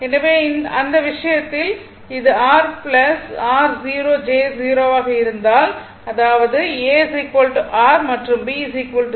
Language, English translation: Tamil, So, in that case, in that case, if it is made R plus your 0 j 0; that means, a is equal to R right and b is equal to 0